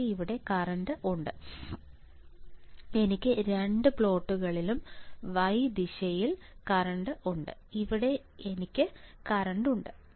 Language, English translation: Malayalam, I have current here I have current in both the directions in x sorry I have current in both the plots in y direction here and here I have current right